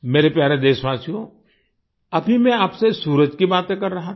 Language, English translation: Hindi, My dear countrymen, just now I was talking to you about the sun